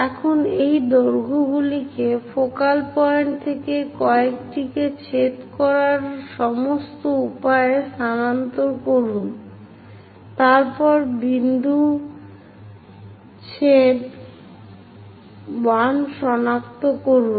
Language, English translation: Bengali, Now, transfer these lengths one from focal point all the way to join intersect that, then locate the point intersection 1